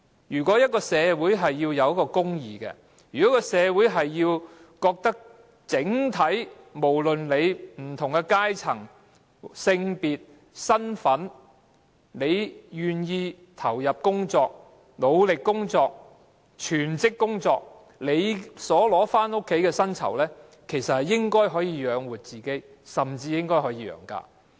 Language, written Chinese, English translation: Cantonese, 如果一個社會存在公義，如果一個社會認為整體上，無論是甚麼階層、性別或身份，只要你願意投入工作、努力地全職工作，你領取回家的薪酬應該可以養活自己，甚至可以養家。, If in a society there is justice and if it is considered that generally speaking disregarding a persons class gender or identity and as long as he is willing to work or work full - time conscientiously his take - home pay should be sufficient to feed himself and even his family